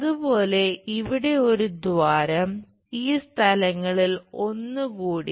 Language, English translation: Malayalam, Similarly here one hole, one more at these locations